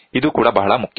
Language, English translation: Kannada, This is also very very important